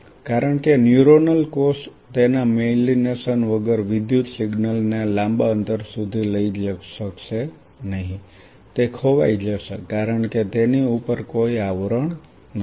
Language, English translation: Gujarati, Because a neuronal cell without its myelination will not be able to carry over the electrical signal to a long distance it will lost because there is no covering on top of it